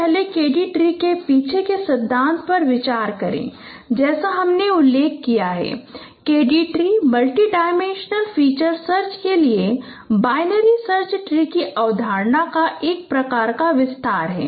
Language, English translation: Hindi, So let us consider first the principles behind the KD tree as I mentioned, KD tree is a kind of extension of concept of binary search tree for multidimensional feature search